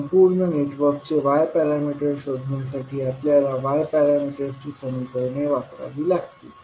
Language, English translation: Marathi, We have to use the Y parameters equations to find out the Y parameters of overall network